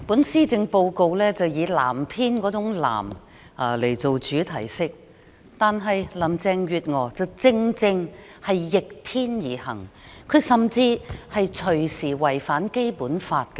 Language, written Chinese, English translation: Cantonese, 施政報告以天藍色為主題色，但林鄭月娥卻正正逆天而行，甚至隨時可能違反《基本法》，實在非常諷刺。, Ironically while the Policy Address uses the blue hue of a blue sky as the theme colour Carrie LAM is precisely acting perversely . She runs the risk of violating the Basic Law